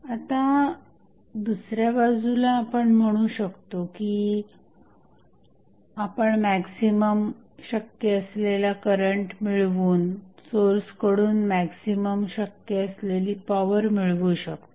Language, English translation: Marathi, So, on the other end, we can now say that, we draw the maximum power possible power from the voltage source by drawing the maximum possible current